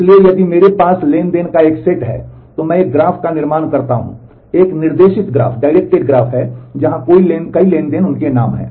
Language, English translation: Hindi, So, if I have a set of transactions, then I construct a graph is a directed graph where the vertices are the transactions their names